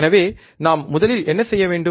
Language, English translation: Tamil, So, what we have to do first